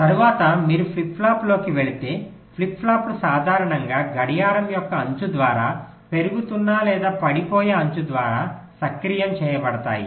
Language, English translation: Telugu, ok, later on, if you move on the flip flopping, as i said, flip flops are typically activated by the edge of the clock, either the rising or the falling edge